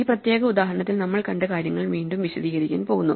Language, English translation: Malayalam, In this particular example just to illustrate what we have seen, again